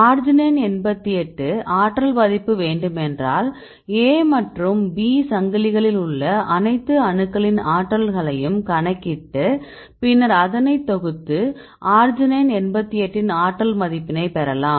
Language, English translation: Tamil, So, you calculate the energy then sum up all the energies in all the atoms in the arginine then you sum up the values that will give you the energy of these arginine 88